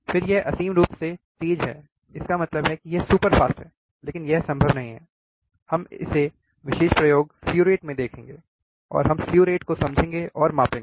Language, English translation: Hindi, then we have infinitely fast; that means, that it is superfast, but it is not possible, we will see slew rate in this particular experiment, and we will understand and measure the slew rate